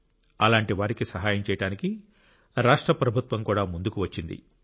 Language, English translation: Telugu, The state government has also come forward to help such people